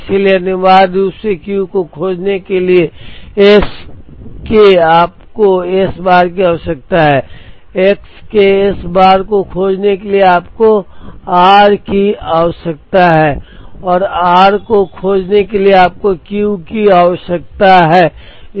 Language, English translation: Hindi, So, essentially to find Q you need S bar of x; to find S bar of x you need r and in order to find r you need Q